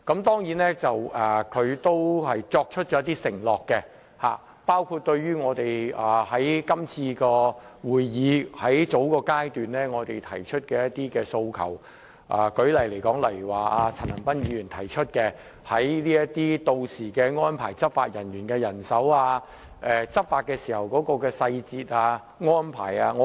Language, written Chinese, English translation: Cantonese, 她許下了一些承諾，應對我們在這次會議較早時提出的一些訴求，例如陳恒鑌議員提及的執法人員人手和執法細節安排等。, In response to certain aspirations raised by us earlier in this meeting she made certain pledges such as the manpower issue of law enforcement agents and the details of enforcement work and other issues raised by Mr CHAN Han - pan